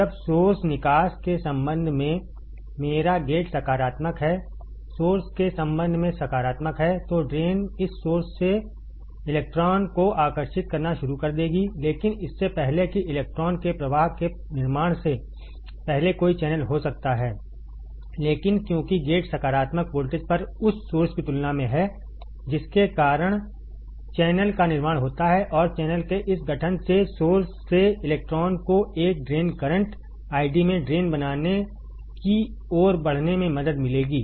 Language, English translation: Hindi, When my gate is positive with respect to source drain is positive with respect to source, the drain will start attracting the electron from this source, but before the formation of before the flow of electron can happen initially there is no channel, but because the gate is at positive voltage compare to the source that is why there is a formation of channel and this formation of channel will help the electron from the source to move towards the drain creating in a drain current I D